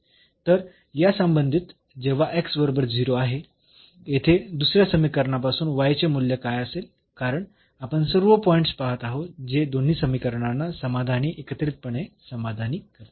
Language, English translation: Marathi, So, corresponding to this when x is equal to 0 here what will be the value of y from the second equation because we are looking for all the points which satisfy both the equations together